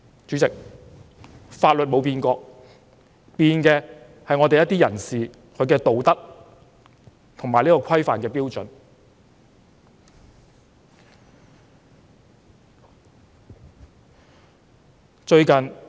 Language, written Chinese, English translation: Cantonese, 主席，法律從來沒變，改變的是一些人士的道德和行為規範的標準。, President the law has never changed . What has changed is the standard of ethics and conduct of some people